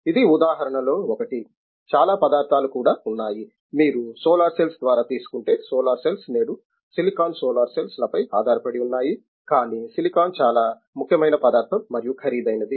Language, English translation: Telugu, This is one of the examples, there are many, many materials even for example, you take through solar cells, solar cells today is based upon silicon solar cells, but silicon being a very important material and also costly